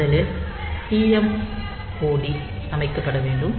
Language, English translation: Tamil, So, TMOD we have already seen